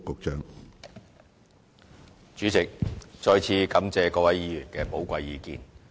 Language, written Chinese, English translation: Cantonese, 主席，再次感謝各位議員的寶貴意見。, President I thank Members again for presenting their precious views